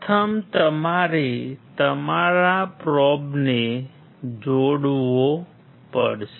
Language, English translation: Gujarati, First you have to connect your probe